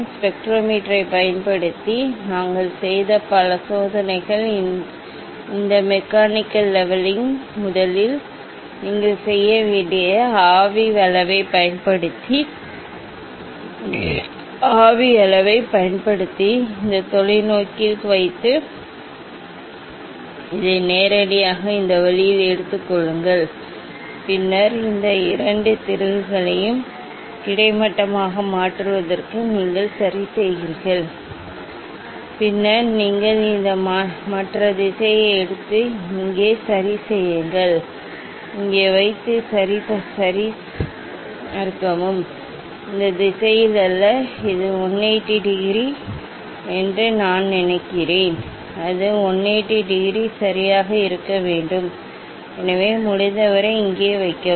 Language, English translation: Tamil, lot of experiment we have done using the spectrometer, say again let me repeat that you have to you have to do first of this mechanical levelling using the spirit level, using the spirit level, putting on this on the telescope and taking this one just directly this way, then you adjust this two screw to make it horizontal ok, and then you take this other direction and put it here ok, put here and check ok; not this direction I think it is the 180 degree, it should be at 180 degree ok, so almost as much as possible put here